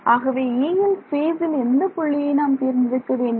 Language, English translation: Tamil, So, E what do I write, what point in space should we choose